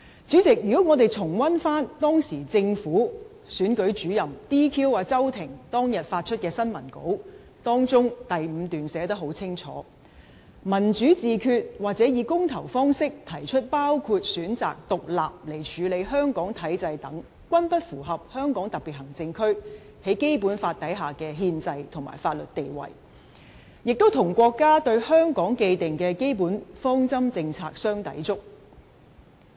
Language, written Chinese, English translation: Cantonese, 主席，我們可重溫政府的選舉主任在 "DQ" 周庭當日發出的新聞稿，當中第五段清楚註明："'民主自決'或以公投方式提出包括選擇獨立來處理香港體制等，均不符合香港特別行政區在《基本法》下的憲制及法律地位，亦與國家對香港既定的基本方針政策相抵觸。, President we can review the press release published on the day when the returning officer of the Government disqualified Agnes CHOW from standing in the election . Paragraph five clearly states that Self - determination or changing the HKSAR system by referendum which includes the choice of independence is inconsistent with the constitutional and legal status of HKSAR as stipulated in the Basic Law as well as the established basic policies of PRC regarding Hong Kong